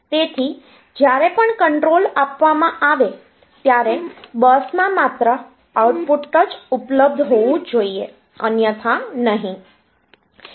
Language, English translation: Gujarati, So, they whenever the control is given then only the output should be available on the bus otherwise not